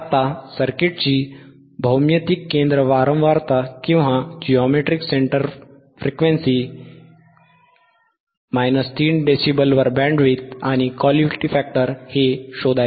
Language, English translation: Marathi, Now, find the geometric center frequency, minus 3dB bandwidth and Q of the circuit